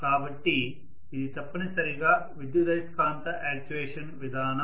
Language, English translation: Telugu, So this is essentially an electromagnetic actuation mechanism